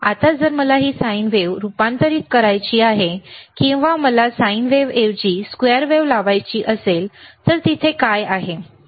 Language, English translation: Marathi, Now if I want to convert this sine wave, or if I want to apply a square wave instead of sine wave, then what is there